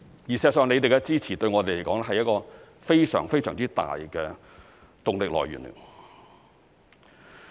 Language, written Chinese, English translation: Cantonese, 事實上，議員的支持對我們來說是非常大的動力來源。, In fact the support of Members is a huge driving force to us